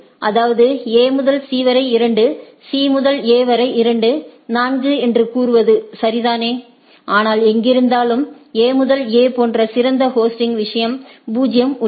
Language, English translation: Tamil, That means, it says that A to C is 2, C to A is 2 right 4, but wherever it has a better hosting thing like A to A is 0 it is having